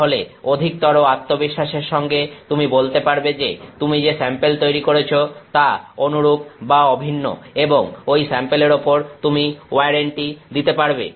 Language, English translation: Bengali, Then for with greater level of confidence that the sample you are making is similar or identical and you can give that warranty on that sample